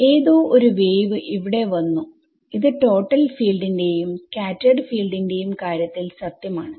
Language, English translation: Malayalam, Some wave has come over here this is true in total field or scattered field